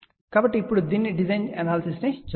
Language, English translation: Telugu, So, now let just look at the design and analysis of this one